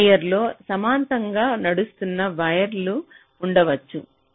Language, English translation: Telugu, so there can be other wires running in parallel on the same layer